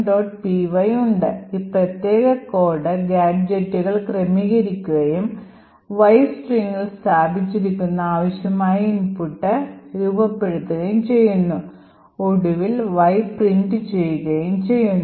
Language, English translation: Malayalam, PY, will just have a look at that and see that, this particular code arranges the gadgets and forms the required input which is placed in Y, in the string Y over here and finally Y gets printed